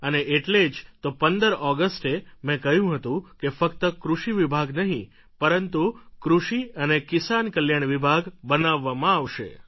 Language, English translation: Gujarati, That is why I declared on 15th August that it is not just an agricultural department but an agricultural and farmer welfare department will be created